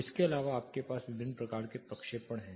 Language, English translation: Hindi, Apart from this you have different types of projections